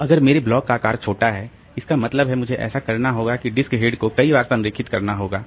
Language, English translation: Hindi, So, if I, if my block size is small, that means I have to do that disk head alignment several times